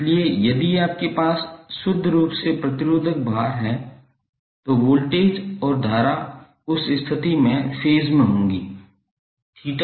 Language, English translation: Hindi, So if you have the purely resistive load, the voltage and current would be in phase in that case theta v minus theta i will be 0